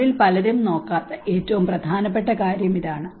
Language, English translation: Malayalam, This is the most important which many of them does not look into it